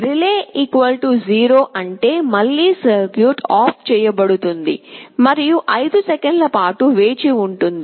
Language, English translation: Telugu, relay = 0 means again, the circuit will be switched OFF and will wait for 5 seconds